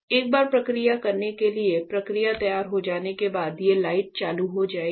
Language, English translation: Hindi, So, once the process is ready to do process these lights will turn on